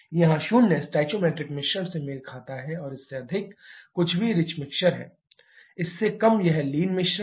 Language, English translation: Hindi, Here zero corresponds to the stoichiometric mixture and anything greater than this is rich mixer, less than this is the lean mixture